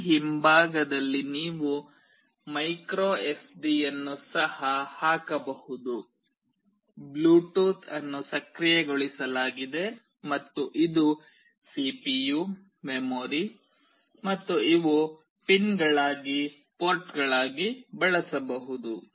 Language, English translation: Kannada, You can also put a micro SD in this back side, it is also Bluetooth enabled, and this is the CPU, the memory, and these are the pins that can be used as ports